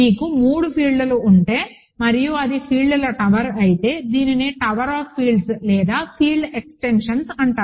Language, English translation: Telugu, If you have three fields and it is a tower of fields, this is called tower of fields or field extensions rather